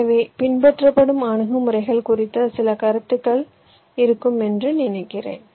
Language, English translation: Tamil, so i think, ah, you will have a fair idea regarding the approaches that are followed